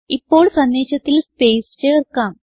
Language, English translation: Malayalam, Now let us add the space to the message